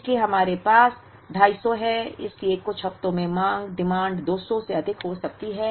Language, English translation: Hindi, So we have a 250 so in some weeks the demand can be more than 200